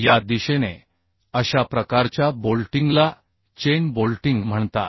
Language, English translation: Marathi, so this type of bolting is called chain bolting